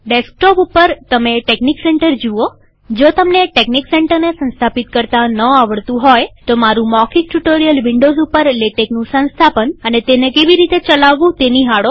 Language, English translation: Gujarati, On the desktop you see texnic center, in case you dont know how to install texnic center, please go through my spoken tutorial on installing and running LaTeX on Windows